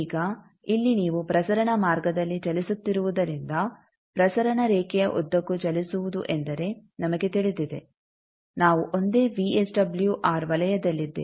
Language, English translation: Kannada, Now here since you are moving along transmission line, we know moving along transmission line means we are on the same VSWR circle